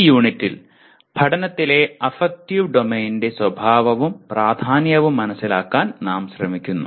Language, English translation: Malayalam, And this unit, we make an attempt to understand the nature and importance of affective domain in learning